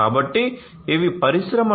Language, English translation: Telugu, So, for Industry 4